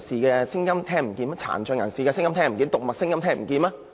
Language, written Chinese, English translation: Cantonese, 難道特首聽不到智障人士、殘疾人士和動物的聲音嗎？, Is the Chief Executive unable to hear the voices of persons with intellectual disabilities persons with disabilities and the animals?